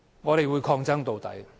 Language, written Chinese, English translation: Cantonese, 我們會抗爭到底。, We will fight to the end